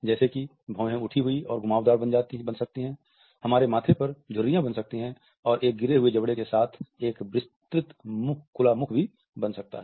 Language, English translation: Hindi, Eyebrows are high and curved, on our forehead wrinkles may be formed and a wide open mouth is also formed by a dropped jaw